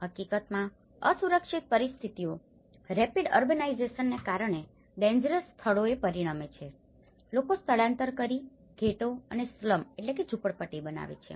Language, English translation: Gujarati, In fact, the unsafe conditions which often result in the dangerous locations because of the rapid urbanization people tend to migrate and form ghettos and slums